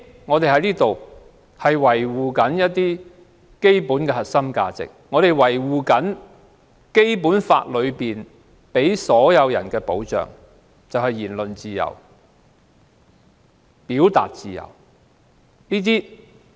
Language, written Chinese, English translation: Cantonese, 我們要維護基本的核心價值，並維護《基本法》給予所有人的保障，就是我們有言論自由和表達自由。, We must uphold the basic core values and safeguard the protection provided to us under the Basic Law ie . we have freedom of speech and freedom of expression